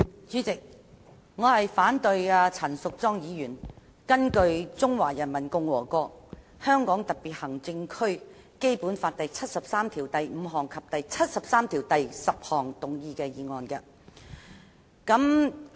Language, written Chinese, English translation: Cantonese, 主席，我反對陳淑莊議員根據《中華人民共和國香港特別行政區基本法》第七十三條第五項及第七十三條第十項動議的議案。, President I oppose the motion moved by Ms Tanya CHAN under Articles 735 and 7310 of the Basic Law of the Hong Kong Special Administrative Region of the Peoples Republic of China